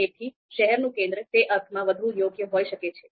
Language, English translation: Gujarati, So therefore, city centre might be more suitable in that sense